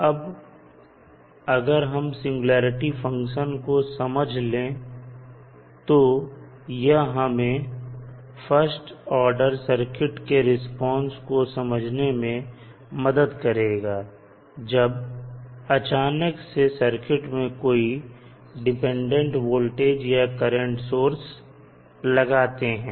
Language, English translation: Hindi, Now, the basic understanding of singularity function will help you to understand the response of first order circuit to a sudden application of independent voltage or current source